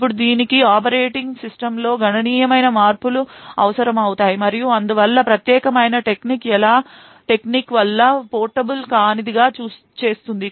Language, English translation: Telugu, Now this would require considerable of modifications in the operating system and therefore also make the particular technique non portable